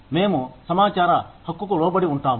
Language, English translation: Telugu, We are subject to, the right to information